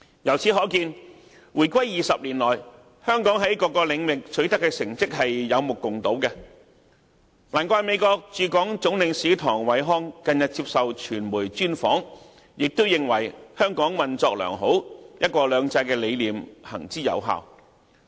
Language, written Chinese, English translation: Cantonese, 由此可見，回歸20年來，香港在各領域所取得的成績是有目共睹的，難怪美國駐港總領事唐偉康近日接受傳媒專訪時，亦認為香港運作良好，"一國兩制"的理念行之有效。, In the two decades after the reunification Hong Kongs accomplishments in various areas are obvious to all . No wonder Mr Kurt TONG the United States Consul General to Hong Kong and Macao said at an exclusive interview by the media that Hong Kong was operating well and the principle of one country two systems was proven successful